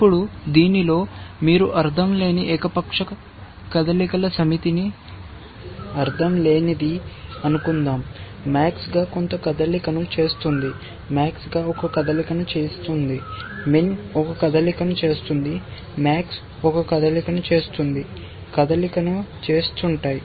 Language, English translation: Telugu, Now, supposing in this you were to insert a set of arbitrary moves which are pointless let us say, max makes some move, max makes a move, min makes a move, max makes a move, makes the move